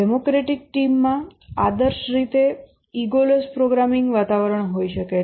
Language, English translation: Gujarati, In a democratic team, ideally there can be a egoless programming environment